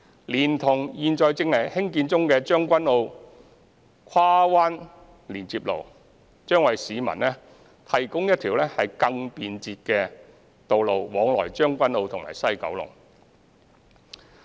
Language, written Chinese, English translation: Cantonese, 連同現正興建中的將軍澳跨灣連接路，將為市民提供一條更便捷的道路往來將軍澳及西九龍。, This coupled with the Tseung Kwan O Cross Bay Link under construction will provide the public with a more convenient express access between Tseung Kwan O and Kowloon West